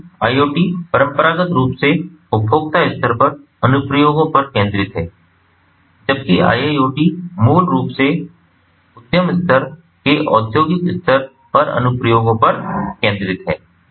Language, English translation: Hindi, so whereas iot traditionally focuses on applications at the consumer level, iiot basically focuses on applications at the industrial level, at the enterprise level